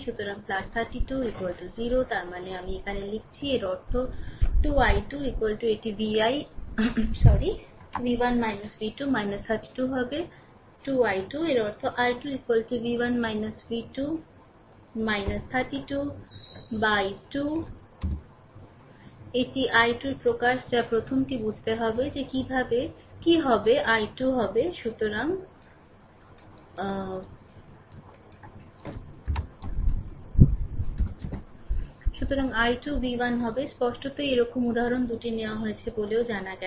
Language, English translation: Bengali, So, plus 32 is equal to 0 right; that means, here l am writing for you; that means, my 2 i 2 is equal to right it will be v 1 minus v 2 minus 32 right that is 2 i 2; that means, my i 2 is equal to v 1 minus v 2 minus 32 by 2 ah this is my expression for i 2 the first we have to understand that what will be the what will be the i 2